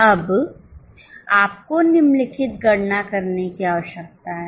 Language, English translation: Hindi, Now you are required to compute following